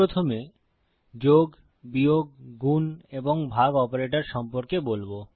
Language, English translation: Bengali, Ill first go through plus, minus, multiply and divide operations